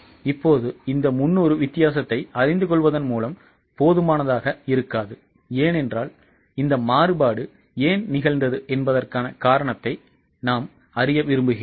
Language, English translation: Tamil, Now, just by knowing this difference of 300 may not be enough because we would like to know the cause, we would like to know the origin as to why this variance has happened